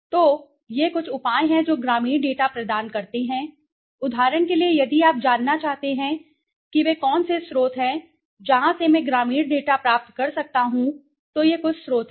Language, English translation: Hindi, So, these are some of the measures sources providing rural data, for example if you want to know, what are the sources from where I can get the rural data these are some of the sources